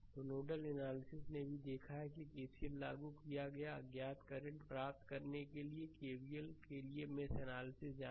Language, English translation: Hindi, So, nodal analysis also we have seen we have applied KCL, for mesh analysis we go for KVL to obtain the unknown currents